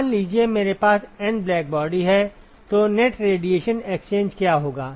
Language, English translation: Hindi, Suppose I have N blackbody then what will be the net radiation exchange